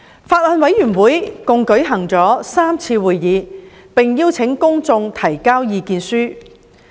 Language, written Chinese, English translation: Cantonese, 法案委員會共舉行了3次會議，並邀請公眾提交意見書。, The Bills Committee has held a total of three meetings and invited written views from the public